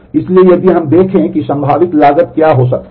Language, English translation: Hindi, So, if we look at what could be the possible cost